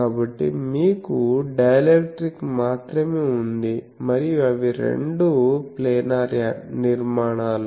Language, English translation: Telugu, So, you have only dielectric and they both are planar structures